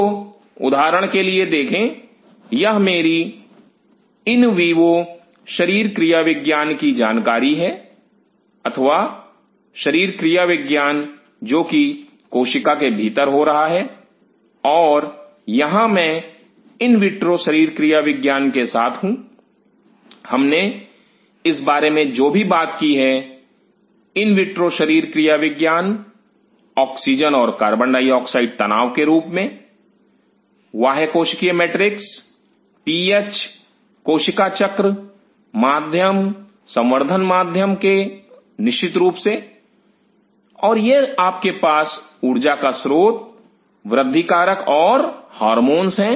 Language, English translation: Hindi, So, see for example, this is my knowledge of in vivo physiology or physiology which is happening inside the cell and here I am with in vitro physiology, what we talked about is in vitro physiology in the form of oxygen CO2 tension extra cellular matrix PH cell cycle medium culture medium of course, and this you have energy source growth factors and hormones